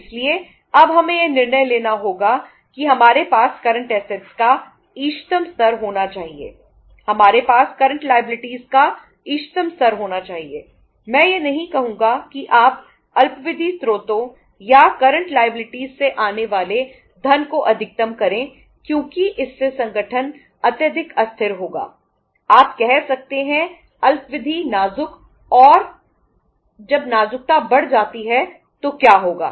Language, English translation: Hindi, I would not say that you maximize the funds coming from the short term sources or from the current liabilities because that will make the organization highly volatile, highly fragile you can say and when the fragility increases so what will happen